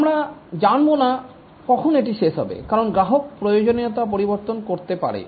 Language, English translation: Bengali, You don't know when it will finish because the customer may keep on changing the requirements